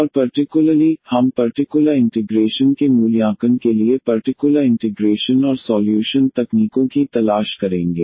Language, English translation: Hindi, And in particular, we will look for the particular integral and the solution techniques for evaluating the particular integral